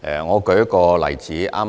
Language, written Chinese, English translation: Cantonese, 我舉一個例子。, Let me cite one example